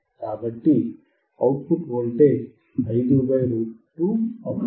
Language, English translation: Telugu, So, the output voltage would be (5 / √2)